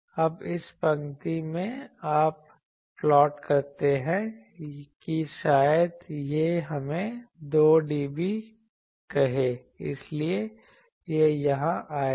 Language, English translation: Hindi, Now, in this line you plot that maybe it is let us say 2 dB, so it will come here